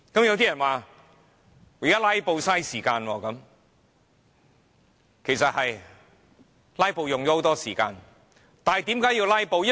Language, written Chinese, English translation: Cantonese, 有些人說"拉布"花時間，其實"拉布"真的很花時間，但為何要"拉布"呢？, Some people said filibustering is time - consuming . Indeed filibustering is very time - consuming but why do we have to filibuster?